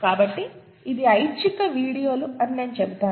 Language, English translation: Telugu, So I would say that this is kind of optional videos